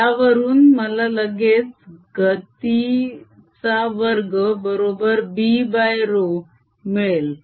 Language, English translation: Marathi, this immediately gives me that velocity square is b over row